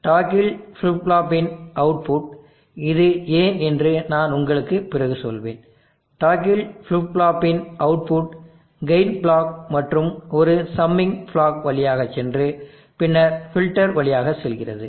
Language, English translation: Tamil, The output of the toggle flip flop, I will tell you why this is later output of the toggle flip flop goes through gain block, assuming block and then filter